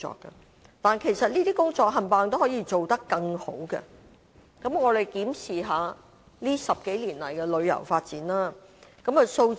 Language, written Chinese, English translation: Cantonese, 然而，這些工作全都可以做得更好，我們檢視一下近10多年來的旅遊發展。, However there is room for improvement in all of the above mentioned areas of work . Let us review our tourism development in the past 10 years